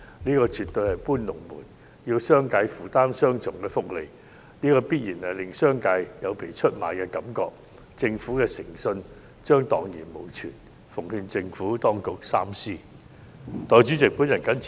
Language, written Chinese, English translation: Cantonese, 這絕對是"搬龍門"，要商界負擔雙重福利，必然會令商界有被出賣的感覺，政府的誠信將蕩然無存，我奉勸政府當局三思。, Requiring the business sector to bear the burden of double benefits will certainly give the business sector a feeling of being betrayed . The Government runs the great risk of wrecking its integrity . I hope the Administration will think twice about this